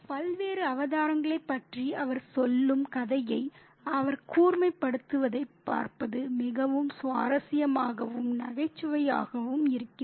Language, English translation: Tamil, And it's very interesting and comical to see him sharpen the tale that he tells about the various avatars